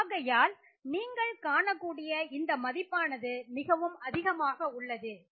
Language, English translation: Tamil, So, as you see these values are much higher